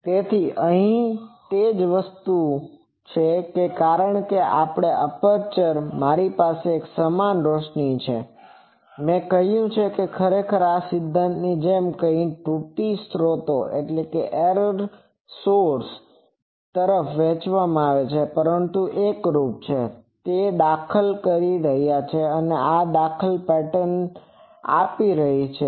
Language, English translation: Gujarati, So, the same thing here because actually this aperture, I am having an uniform illumination and I said that actually this is something like any theory that error sources distributed sources, but since their uniform; they are interfering and that interference is giving this pattern